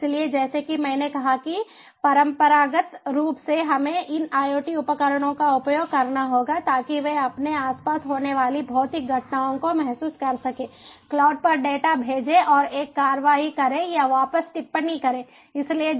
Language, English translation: Hindi, so, as i said, traditionally we have to use this iot devices to sense the physical phenomena occurring around them, send the data to the cloud and get a, get an action or comment back